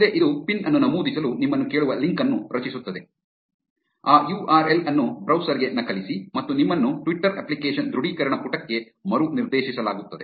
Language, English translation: Kannada, Next, it will generate a link which will ask you to enter a pin, copy paste that URL into a browser and you will be redirected to the Twitter application authorization page